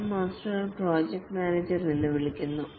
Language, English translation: Malayalam, The scrum master is also called as a project manager